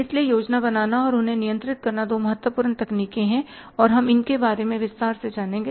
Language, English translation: Hindi, So planning and controlling there are the two important techniques and we will learn about them in detail